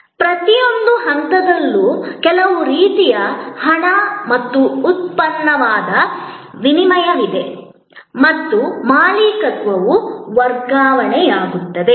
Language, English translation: Kannada, Almost at every stage, there is some kind of exchange of money and product and the ownership gets transferred